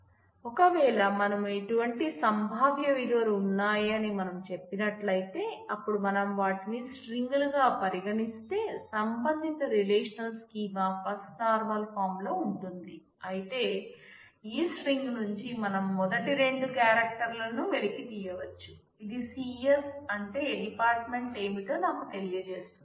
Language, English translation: Telugu, So, if we say that we have possible values are like this, then if we just treat them as strings, then the corresponding relational schema is in First Normal Form, but if we say that from this string we can extract the first two characters which is CS which tells me what is a department